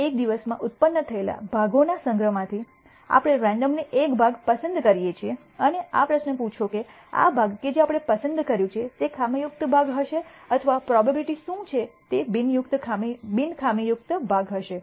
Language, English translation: Gujarati, Now from the collection of parts produced in a day, we randomly choose one part and ask this question would this part that we have selected picked, would it be a defective part or what is the probability it will be a non defective part